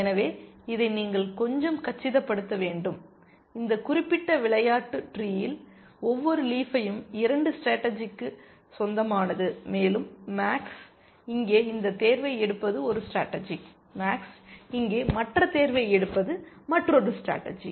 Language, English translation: Tamil, So, you need to visualize this a little bit, that in this particular game tree every leaf belongs to 2 strategies, and that is the one strategy is when max makes this choice here, and the other strategy is when max makes the other choice here